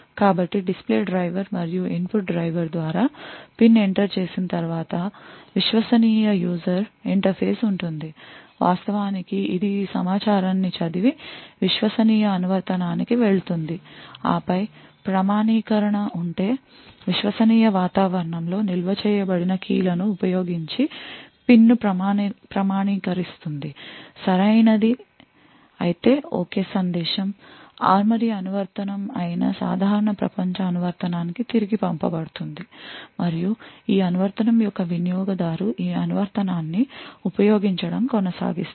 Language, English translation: Telugu, So once the PIN is entered through the display driver and the input driver there would be a Trusted user interface which actually reads this information and pass on to the trusted application which then authenticates the PIN using keys which are stored in the trusted environment if the authentication is right then the and ok message is sent back to the normal world application that is the ARMORY application and the user of this application would then continue to use this application